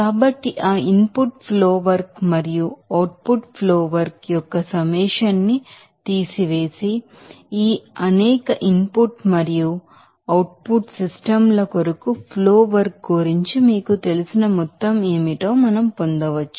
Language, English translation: Telugu, So, subtracting the summation of that input flow work and output flow work, we can get that what will be that total you know flow work for this several input and output streams